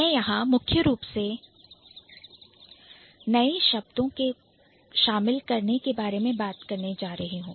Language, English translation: Hindi, So, I am going to talk about primarily the addition of new words here